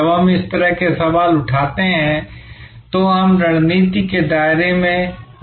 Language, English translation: Hindi, When we raise such questions, we are in the realm of strategy